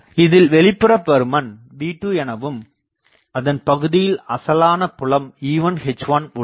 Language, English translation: Tamil, And the outside V2 get the original fields E1 H1 exist